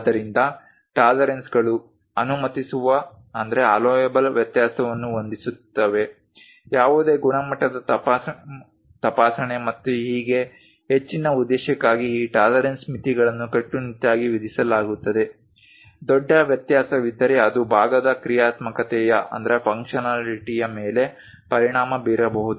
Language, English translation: Kannada, So, tolerances set allowable variation so, any quality inspections and so on, further purpose these tolerance limits are strictly imposed, if there is a large variation it may affect the functionality of the part